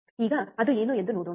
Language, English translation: Kannada, Now let us see what is it